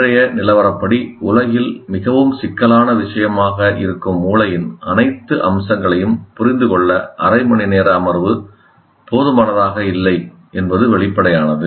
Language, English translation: Tamil, Obviously, half an hour is not sufficient to understand the all aspects of the brain, which is the most complex, what do you call, a most complex thing in the world as of today